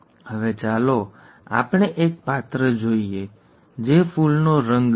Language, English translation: Gujarati, Now let us look at one character, okay, which is flower colour